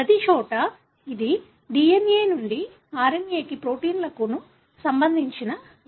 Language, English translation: Telugu, So, everywhere is this the law that DNA to RNA to proteins